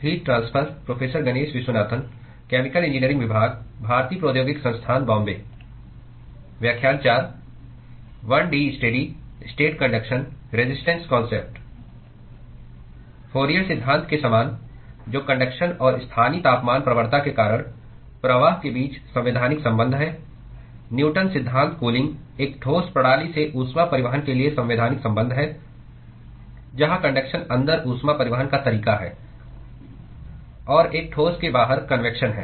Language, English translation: Hindi, Similar to Fourier's law, which is the constitutive relationship between the flux due to conduction and the local temperature gradient, Newton’s law of cooling is the constitutive relationship for heat transport from a solid system where conduction is the mode of heat transport inside and there is a convection outside the solid